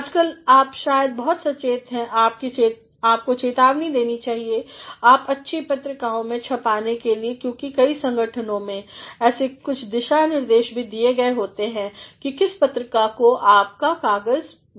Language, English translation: Hindi, Nowadays, you might be quite conscious and you should be warned that you are going to publish in good journals because in many organizations, there have been certain guidelines as to which journal you should send your paper